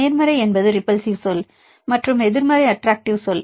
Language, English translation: Tamil, Positive is repulsive term and the negative is attractive term